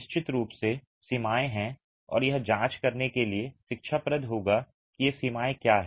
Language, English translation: Hindi, There are of course limits and it will be instructive to examine what these limits are